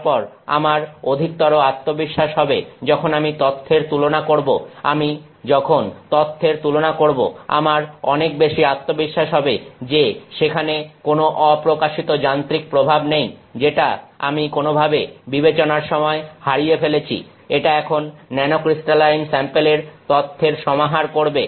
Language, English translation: Bengali, Then I have greater confidence when I compare the data, when I have when I compare the data I have much greater confidence that there is no instrument effect that that is hidden from the considerations that I have missed in some sense, that is now clouding the data of the nanocrystalline sample